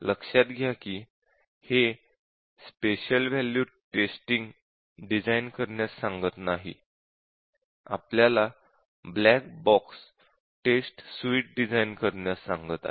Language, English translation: Marathi, And note that this is not asking to design the special value testing, we are asking to design a black box test suite